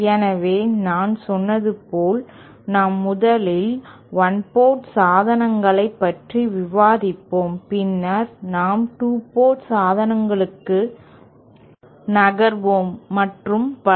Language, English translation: Tamil, So, and as I said we shall 1st be discussing one port devices, then we shall be moving onto 2 port devices and so on